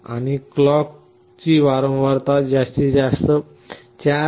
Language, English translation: Marathi, And the frequency of the clock was maximum 4